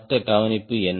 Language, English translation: Tamil, what is the another observation